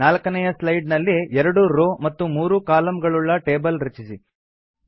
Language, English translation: Kannada, On the 4th slide, create a table of 2 rows and three columns